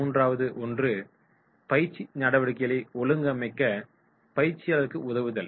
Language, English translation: Tamil, Third one is, assisting the trainers in organising training activities